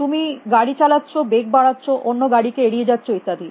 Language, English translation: Bengali, You driving, breaking, accelerating, avoiding vehicles and so on and so forth